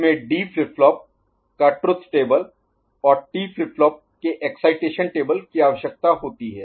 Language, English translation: Hindi, In this, D flip flop truth table, and T flip flop excitation table are required